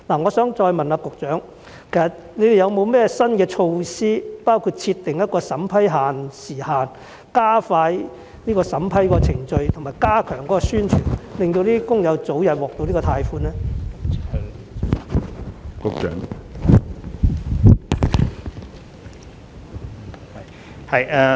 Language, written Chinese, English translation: Cantonese, 我想再次問局長有否新措施，包括設定一個審批時限，加快審批程序和加強宣傳，讓工友可以早日獲得貸款呢？, May I ask the Secretary again whether any new measures will be put in place including setting a deadline for vetting and approval to speed up the process and stepping up publicity so that the workers can obtain the loans earlier?